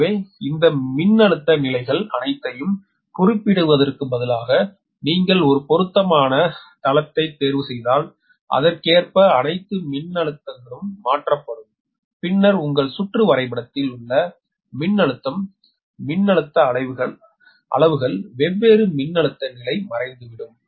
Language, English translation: Tamil, so all, instead of mentioning all these voltage level, if you choose an appropriate base and all the voltage accordingly will be transformed, then the voltage in the in your circuit, in your circuit diagram, that voltage, uh levels, i mean different voltage level, will disappear